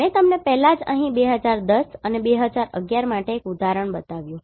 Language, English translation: Gujarati, I already showed you one example here for 2010 and 11